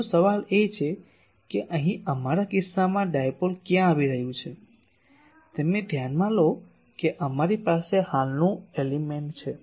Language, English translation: Gujarati, But the question is where is dipole coming here in our case you consider that we have a current element